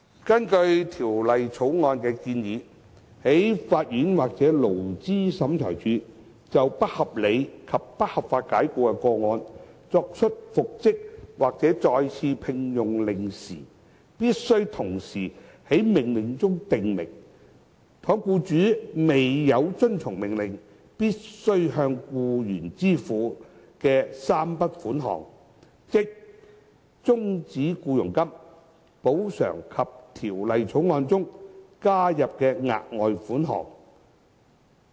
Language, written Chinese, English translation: Cantonese, 根據《條例草案》的建議，在法院或勞資審裁處就不合理及不合法解僱的個案作出復職或再次聘用的命令時，必須同時在命令中訂明，倘若僱主未有遵從命令必須向僱員支付的3筆款項，即終止僱傭金、補償及《條例草案》中加入的額外款項。, As proposed in the Bill on making an order for reinstatement or re - engagement for unreasonable and unlawful dismissal cases the court or Labour Tribunal must specify in the order at the same time that if the employee is not reinstated or re - engaged as required by the order the employer must pay to the employee three sums including terminal payments compensation and the further sum as proposed in the Bill